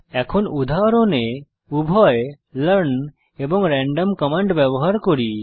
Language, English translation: Bengali, Let us now use both the learn and random commands in an example